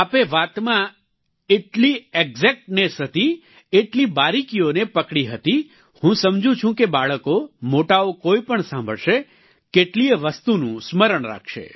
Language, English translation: Gujarati, You had such exactness in narration, you touched upon so many fine details, I understand that children, adults whoever listens to this will remember many things